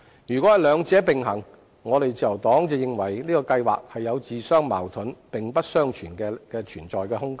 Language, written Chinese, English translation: Cantonese, 如果是兩者並行，自由黨認為這個計劃自相矛盾，沒有並存的空間。, If this proposition is intended to serve two purposes in nature the Liberal Party will think that it is self - contradictory with no room for both to co - exist